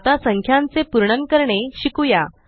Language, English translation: Marathi, Now, lets learn how to round off numbers